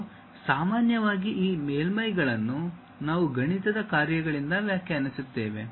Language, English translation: Kannada, And, usually these surfaces we define it by mathematical functions